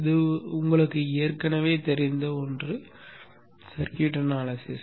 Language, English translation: Tamil, Okay that is something which you already know in circuit analysis